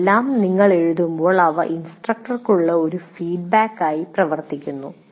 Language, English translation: Malayalam, When you write all this, this feedback also acts as a feedback to the instructor